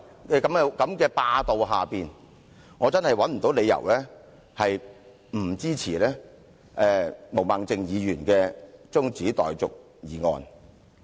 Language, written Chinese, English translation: Cantonese, 在這種霸道之下，我真的找不到理由不支持毛孟靜議員的中止待續議案。, Oppressed by such hegemonic rule I simply cannot see why I should not support Ms Claudia MOs adjournment motion